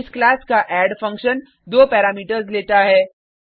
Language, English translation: Hindi, The add function of this class takes two parameters